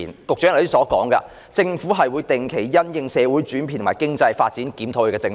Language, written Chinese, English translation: Cantonese, 局長剛才說，政府會定期因應社會的轉變和經濟發展檢討政策。, Just now the Secretary said that the Government would review its policy regularly in view of social changes and economic development